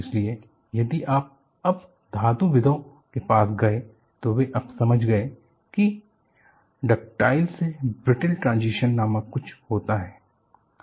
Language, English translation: Hindi, So, if you really go to metallurgies, you know, they have understood now, there are something called ductile to brittle transition